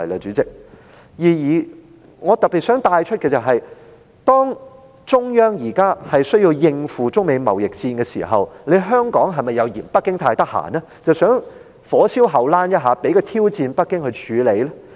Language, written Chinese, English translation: Cantonese, 主席，我想特別帶出一點，中央現時需要應付中美貿易戰，香港是否又認為北京太空閒，所以想"火燒後欄"，讓北京有多一個挑戰要處理呢？, Chairman I would like to particularly bring up a point . While the Central Government currently needs to deal with the Sino - United States trade war does Hong Kong think that Beijing has too much free time so it wants to set a fire in its backyard so that Beijing has one more challenge to deal with?